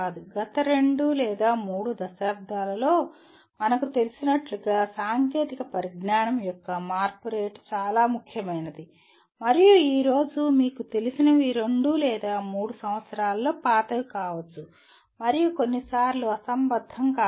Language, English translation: Telugu, As we know in the last two or three decades, the rate of change of technology has been very significant and what you know today, may become outdated in two or three years and also sometimes irrelevant